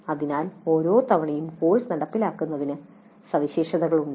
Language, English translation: Malayalam, So the implementation of the course every time is unique features